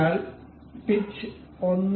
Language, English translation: Malayalam, So, the pitch is 1